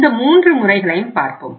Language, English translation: Tamil, So let us see these 3 modes